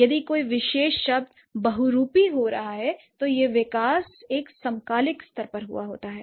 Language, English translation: Hindi, If a particular word has been polysamous, then the development has happened at a synchronic level